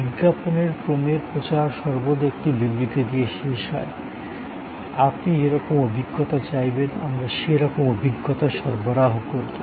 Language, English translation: Bengali, The campaign of the series of ads always ends with one statement, ask for an experience and we deliver